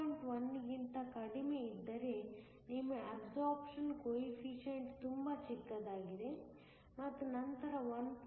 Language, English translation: Kannada, 1 your absorption coefficient is very small and then above 1